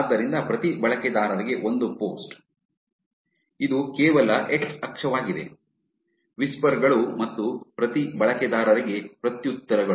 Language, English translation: Kannada, So, a post per user, which is just the x axis is whispers and replies per user